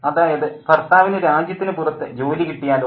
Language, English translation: Malayalam, So, what if the husband is placed outside of the country